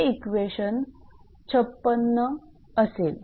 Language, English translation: Marathi, So, this is equation 56